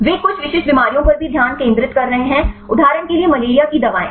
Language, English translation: Hindi, They are also focusing on some specific diseases for example, the malaria drugs right